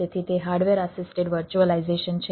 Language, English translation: Gujarati, so it is a cooperative virtualization